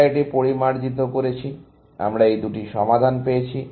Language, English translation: Bengali, We refine this; we get these two solutions